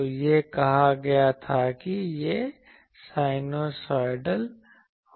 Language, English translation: Hindi, So, it was said that it will be sinusoidal